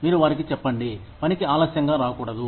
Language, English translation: Telugu, You tell them, not to come to work, late